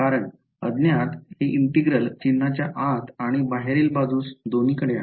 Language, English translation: Marathi, because the unknown is both inside and outside the integral sign right